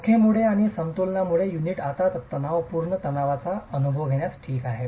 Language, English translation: Marathi, Because of the bond and because of equilibrium, the unit now starts experiencing tensile stresses